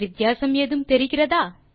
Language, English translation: Tamil, So Do you find any difference